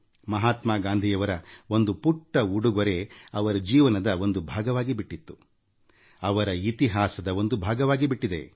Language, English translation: Kannada, A small gift by Mahatma Gandhi, has become a part of her life and a part of history